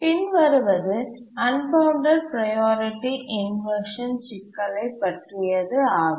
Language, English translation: Tamil, Now let's look at the unbounded priority inversion problem